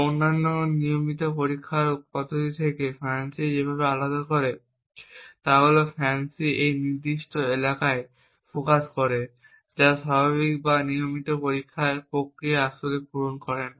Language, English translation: Bengali, The way FANCI actually differs from the other regular testing mechanisms is that FANCI focuses on this particular area which normal or regular testing mechanisms would not actually cater to